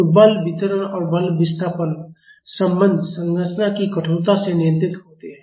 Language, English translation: Hindi, So, the force distribution and force displacement relationship are controlled by the stiffness of the structure